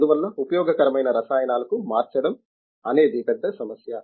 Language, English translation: Telugu, Therefore, the conversion to useful chemicals is a big problem